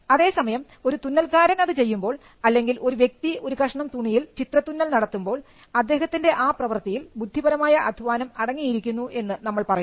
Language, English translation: Malayalam, Whereas the tailor who did it, or the person who actually embroidered a piece of design on a cloth, we would say that that involved an intellectual effort